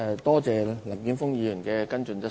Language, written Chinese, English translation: Cantonese, 多謝林健鋒議員的補充質詢。, I thank Mr Jeffrey LAM for his supplementary question